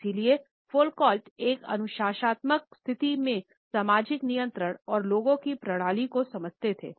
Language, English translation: Hindi, So, Foucault used to understand the systems of social control and people in a disciplinary situation